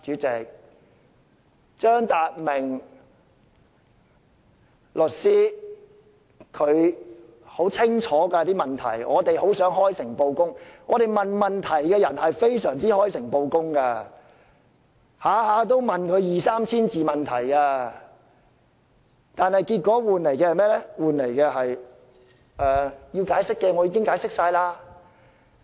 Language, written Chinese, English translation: Cantonese, 張達明律師提出的問題很清楚，我們提出問題的人都開誠布公，每次提問往往二三千字，但換來的回應只是："要解釋的已經解釋過了。, The questions we have been asking so far are all perfectly open and clear . Every time our list of questions can be as long as several thousand words . But his reply is invariably that I have already explained everything that needs to be explained